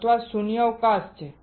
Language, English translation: Gujarati, Or there is a vacuum